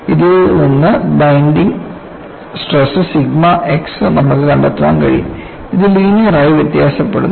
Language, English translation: Malayalam, You would be able to find out the bending stress sigma x from this, and this varies linear